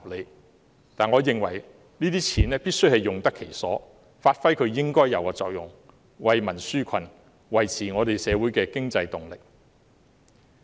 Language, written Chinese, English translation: Cantonese, 但是，我認為這些錢必須用得其所，發揮應有的作用，為民紓困，維持社會的經濟動力。, However in my view such money must be spent properly to produce the intended effects to relieve peoples burden and maintain the economic impetus in society